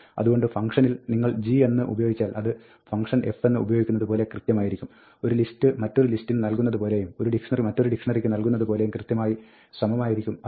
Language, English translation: Malayalam, So, if you use g in the function, it will use exactly the same function as a, its exactly like assigning one list to another, or one dictionary to another and so on